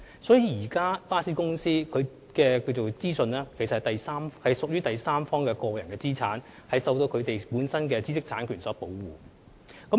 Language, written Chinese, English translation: Cantonese, 所以，巴士公司的資訊屬第三方個人資產，必須受到本身的知識產權所保護。, Therefore information of bus companies should be regarded as personal assets of a third party and these companies intellectual property rights should be protected